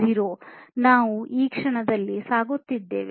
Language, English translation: Kannada, 0 that we are going through at this moment